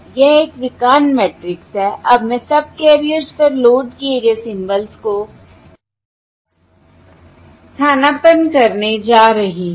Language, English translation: Hindi, now I am going to substitute the symbols loaded onto the subcarriers